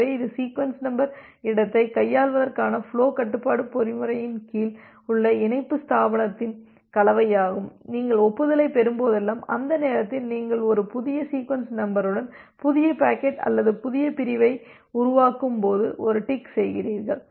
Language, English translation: Tamil, So, this is something like a mix of the connection establishment under flow control mechanism for handling the sequence number space that whenever you are receiving an acknowledgement, during that time you make a tick that you generate new packet or new segment with a new sequence number